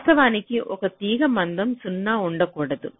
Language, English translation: Telugu, now, actually, a wire cannot be of zero thickness